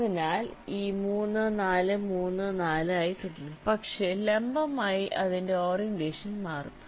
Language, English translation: Malayalam, so this three, four will remain three, four, but vertically its orientation will get changed